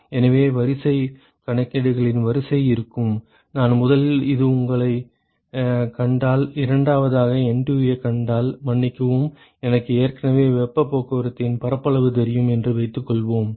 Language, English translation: Tamil, So, the sequence would be, so the sequence of calculations would be, if I, first this I find you and second is I find NTU excuse me suppose I know the area of heat transport, already